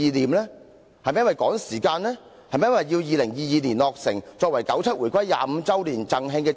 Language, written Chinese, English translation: Cantonese, 故宮館是否一項政治工程，急於在2022年落成，為九七回歸25周年"贈慶"？, Is HKPM a political project which has to be completed by 2022 so that it can be presented as a gift to celebrate the 25 anniversary of the reunification of Hong Kong?